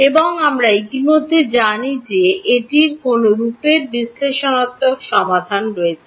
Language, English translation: Bengali, And we already know that this has analytical solutions of which form